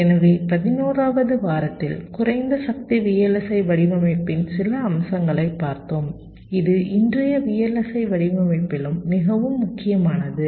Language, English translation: Tamil, so during week eleven we looked at some of the aspects of low power vlsi design, which is also very important in present day vlsi design